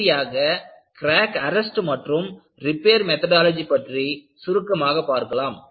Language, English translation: Tamil, And, finally we will also have a brief discussion on Crack Arrest and Repair Methodologies